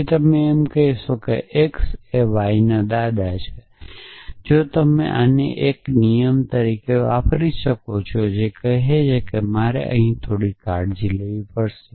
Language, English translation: Gujarati, Then you could say x is the grandfather of y if you could use this as 1 rule which says that now you have to a bit careful here a father x z